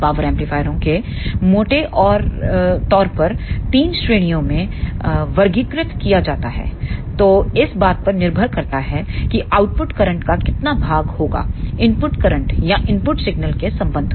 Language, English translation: Hindi, Power amplifiers are broadly classified into 3 categories depending upon for how much portion the output current will flow with respect to the input current or input signal